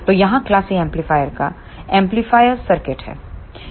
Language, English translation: Hindi, So, here is the circuit of class A amplifier